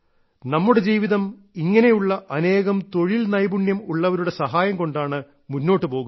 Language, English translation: Malayalam, Our life goes on because of many such skilled people